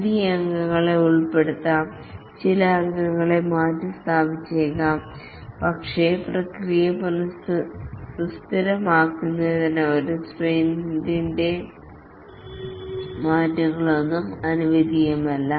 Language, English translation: Malayalam, New members may be inducted, some member may be replaced and so on, but for the process to be stable, no changes are allowed during a sprint